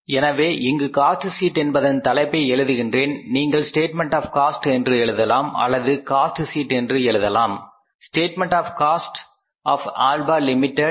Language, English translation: Tamil, So, here we are writing the title of the cost sheet is that is the statement of cost or you can write it as the cost statement of the cost of Alpha India Limited